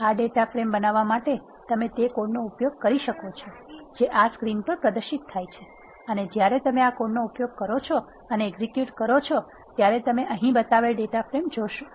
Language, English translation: Gujarati, To create this data frame, you can use the code that is displayed in screen this one and when you use this code and execute this, you will see the data frame which is shown here